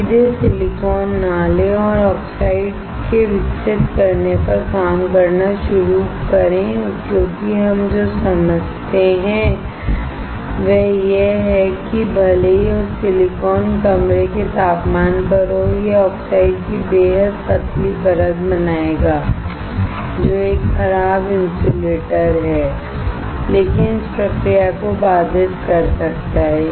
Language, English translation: Hindi, Do not directly take a silicon and start working on growing of oxide because what we understand is that even if the silicon is at room temperature, it will form extremely thin layer of oxide, which is a poor insulator but can impede the process